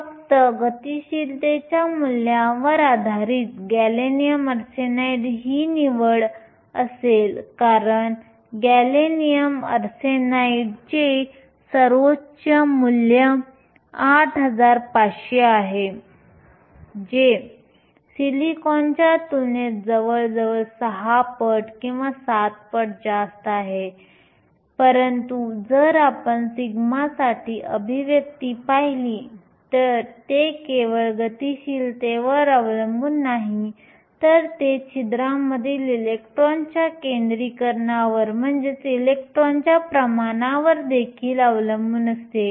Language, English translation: Marathi, Just based upon the mobility values, the choice would be gallium arsenide because gallium arsenide has the highest value 8500, which is nearly 6 times or 7 times higher than that of silicon, but if you look at the expression for sigma, it not only depends upon the mobility, it also depends upon the concentration of electrons in holes